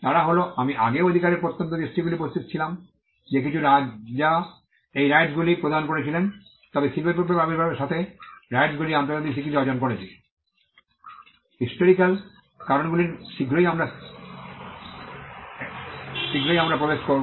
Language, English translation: Bengali, They were I would say remote instances of rights even existing before that some kings granting these rights, but the rights attained international recognition with the advent of the industrial revolution, there are reasons for that historical reasons we will get into it soon